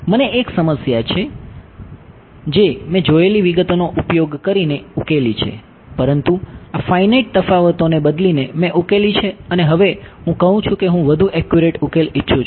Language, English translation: Gujarati, I have a problem I have solved this using the details we will see, but I have solved at using replacing these finite differences and now I say I want to more accurate solution